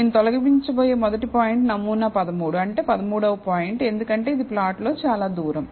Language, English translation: Telugu, The first point that I am going to remove is sample 13 that is the 13th point, because it is the farthest in the plot